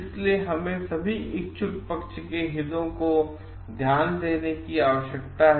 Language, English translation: Hindi, So, we need to give a coverage to the interest of all the interested parties